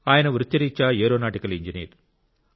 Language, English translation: Telugu, By profession he is an aeronautical engineer